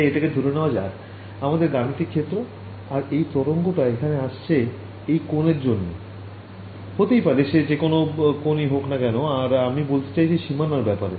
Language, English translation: Bengali, So, let us say that this is my computational domain over here and this wave is coming over here may be it's coming at this angle whatever variety of different angels and I am talking about let us say this boundary